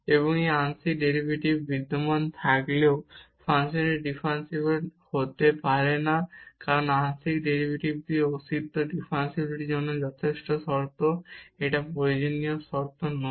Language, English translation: Bengali, And here the function may not be differentiable at a point even if partial derivative is exist, because the existence of partial derivatives is a sufficient condition for differentiability it is not necessary condition